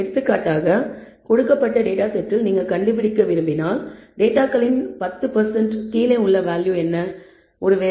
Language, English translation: Tamil, For example, if you want to find given a data set, what is the value below which 10 percent of the data lies, maybe minus 1